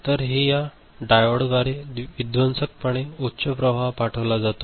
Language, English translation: Marathi, So, this is, destructively high, destructively high currents are sent through diodes